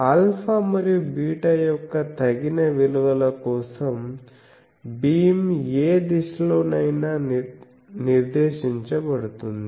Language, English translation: Telugu, For suitable values of alpha and beta, the beam can be directed in any direction